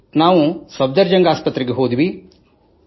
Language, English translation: Kannada, We went to Safdarjung Hospital, Delhi